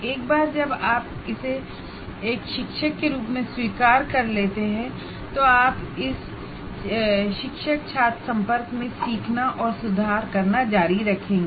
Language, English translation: Hindi, Once you accept that, as a teacher, we will continue to learn or improve upon this teacher student interaction